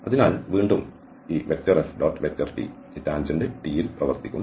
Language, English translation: Malayalam, t will be acting along this tangent T